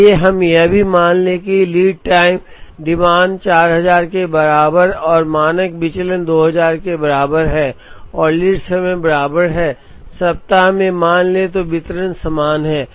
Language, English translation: Hindi, Let us also assume that, the lead time demand shows a distribution with mean equal to 4000 and standard deviation is equal to 2000 and lead time is equal to, let us say 1 week